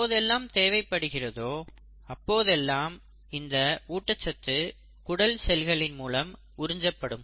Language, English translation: Tamil, So when there has to be a need of the, for the absorption of nutrients then this can happen in intestinal cells